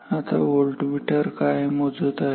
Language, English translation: Marathi, Now, now the what is this voltmeter is measuring